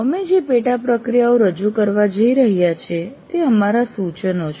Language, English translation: Gujarati, The sub processes we are going to present are our suggestions